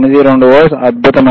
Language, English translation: Telugu, 92 volts, excellent